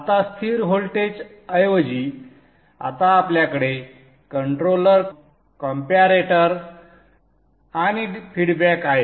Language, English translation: Marathi, Now instead of the constant voltage we are now having a controller, a comparator and the feedback